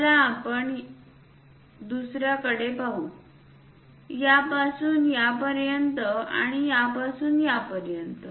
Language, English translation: Marathi, Let us look at other ones, this to this and this to this